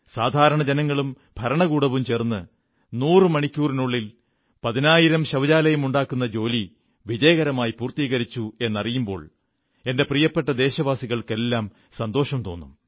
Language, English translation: Malayalam, And my Dear Countrymen, you will be happy to learn that the administration and the people together did construct 10,000 toilets in hundred hours successfully